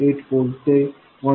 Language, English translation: Marathi, 8 volts to 1